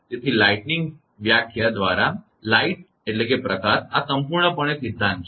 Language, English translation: Gujarati, So, by definition lightning, light this is totally theory right